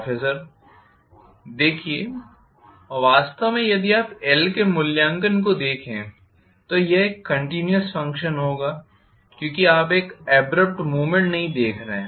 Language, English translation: Hindi, See, actually if you look at the evaluation of L it will be a continuous function because you are not seeing a abrupt movement